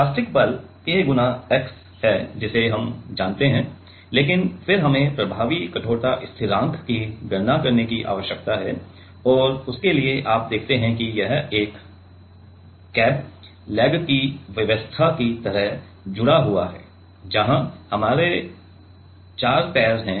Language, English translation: Hindi, Elastic force is K x we know, but then we need to calculate the effective stiffness constant and for that, you see that this is connected like a crab leg arrangement where we have four legs right